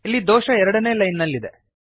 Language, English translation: Kannada, Here the error is in line number 2